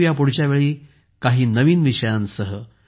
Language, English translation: Marathi, See you next time, with some new topics